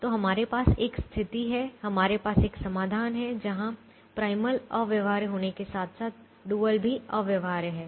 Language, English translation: Hindi, so we have a situation, we have a solution, where the primal is infeasible as well as the dual is infeasible